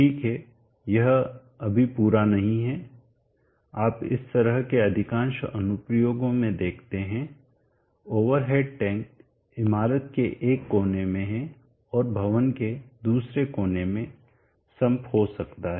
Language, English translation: Hindi, That is not all, you see in most of these kind of application the over at tank maybe in one corner of the building and the sum may be in another corner of the building